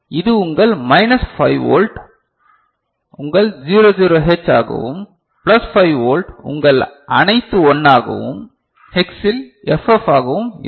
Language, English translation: Tamil, And so this is your minus 5 volt will be your 00H and plus 5 volt will be your all 1, FF in Hex, right